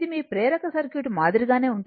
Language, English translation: Telugu, It is same like your inductive circuit, but here it is C